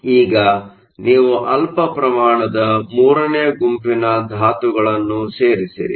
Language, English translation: Kannada, So, now, you add a small amount of group 3 element